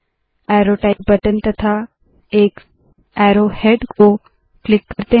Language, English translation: Hindi, Let us click the Arrow Type button and an arrow head